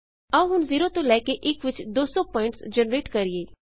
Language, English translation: Punjabi, Now lets try to generate 200 points between 0 and 1